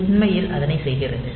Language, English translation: Tamil, So, this is actually doing that